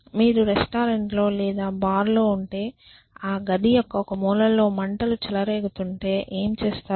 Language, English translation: Telugu, So, what do you do if you are in a restaurant or a bar and there is a fire in one corner of the room